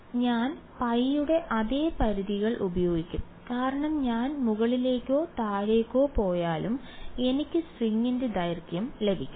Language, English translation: Malayalam, Now I will use the same limits pi to 0 because I should get the length whether I go upwards or downwards I should get the length of the string ok